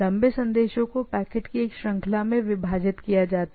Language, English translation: Hindi, The longer message split into series of packets